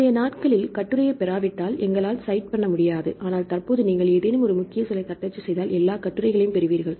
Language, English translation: Tamil, Previous days, unless we get the article we cannot cite, but currently if you type any keyword you get all the articles